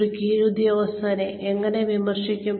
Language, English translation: Malayalam, How do you criticize a subordinate